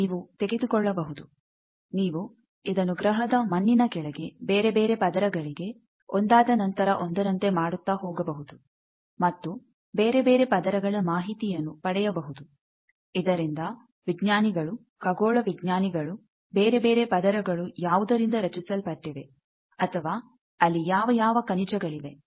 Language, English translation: Kannada, You can pick out, you go on doing this for various layer after layer under the soil of the planet and you get various layers of information by which scientists can predict, space scientists predict what are the various layers composed of; whether there are various minerals